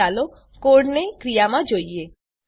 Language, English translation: Gujarati, Now let us see the code in action